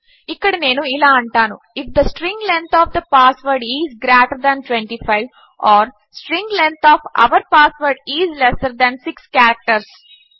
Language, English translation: Telugu, Here I will say if the string length of the password is greater than 25 or string length of our password is lesser than 6 characters...